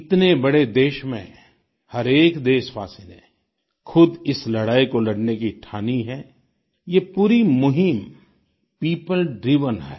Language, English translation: Hindi, In a country as big as ours, everyone is determined to put up a fight; the entire campaign is people driven